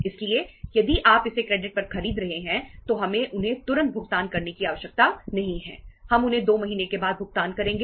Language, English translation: Hindi, So so if you are buying it on credit, we donít need to pay them immediately, weíll pay them after 2 months